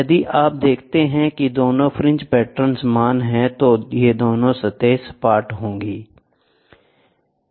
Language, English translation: Hindi, If you see both the fringe patterns are the same, then these two are flat surfaces